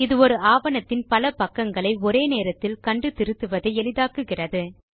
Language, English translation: Tamil, It makes the viewing and editing of multiple pages of a document much easier